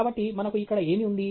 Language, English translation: Telugu, So, what do we have here